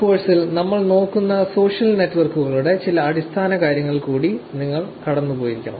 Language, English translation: Malayalam, You must have gone through some of the basics of the social networks that we are looking at in this course